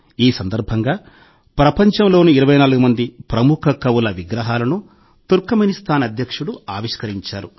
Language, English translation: Telugu, On this occasion, the President of Turkmenistan unveiled the statues of 24 famous poets of the world